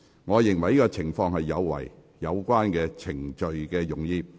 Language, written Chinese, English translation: Cantonese, 我認為這情況有違有關程序的用意。, I consider that scenario contravenes the purpose of the procedures concerned